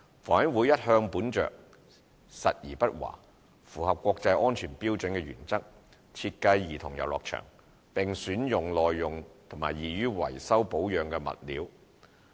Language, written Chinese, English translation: Cantonese, 房委會一向本着實而不華、符合國際安全標準的原則設計兒童遊樂場，並選用耐用和易於維修保養的物料。, HA has all along been adopting a pragmatic approach and fulfilling international safety standards when designing childrens playground and has been selecting materials that are durable and easy to maintain